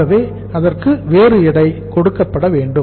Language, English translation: Tamil, So it should be given a different weight